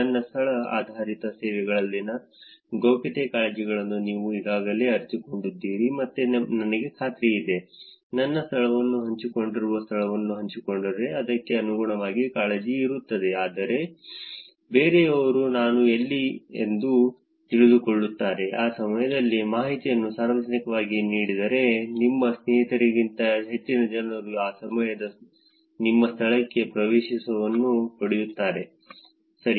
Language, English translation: Kannada, I am, I am sure by now you already realized the privacy concerns in location based services which are, where my location is shared, if my location is shared there are going to be concerns accordingly, that is, somebody else will get to know where I am, if the information is given public, then many more people actually, more than just your friends get access to your location at that given point in time, right